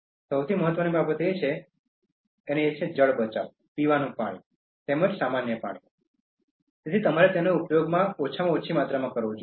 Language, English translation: Gujarati, The most important thing is, conserving water: Drinking water, as well as normal water, so you should use it to the minimum required quantity